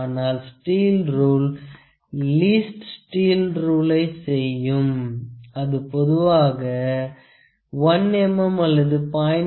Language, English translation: Tamil, But the steel rule will do a least steel rule generally 1 mm or might be it sometimes it is 0